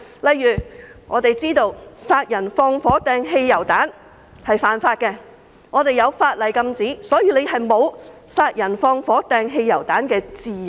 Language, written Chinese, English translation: Cantonese, 例如殺人、放火、擲汽油彈是犯法的行為，法例禁止這樣做，所以人們沒有殺人、放火、擲汽油彈的自由。, For example murder arson and hurling petrol bombs are crimes which are forbidden by the law . People do not have the freedom to commit murder arson and hurl petrol bombs